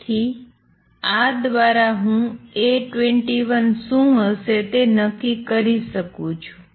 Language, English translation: Gujarati, So, through these I can determine what A 21 would be